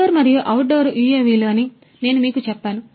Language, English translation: Telugu, And also I what I told you is indoor and outdoor UAVs